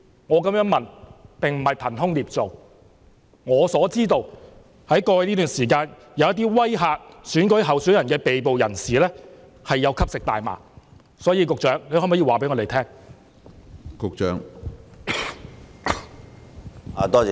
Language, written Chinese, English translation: Cantonese, 我的問題並不是憑空捏造，據我所知，在過去這段時間，一些威嚇選舉候選人的被捕人士有吸食大麻，局長可否回答我們？, My question is not groundless because as far as I know over a period of time in the past some people arrested for intimidating election candidates had taken marijuana . Can the Secretary give us a reply?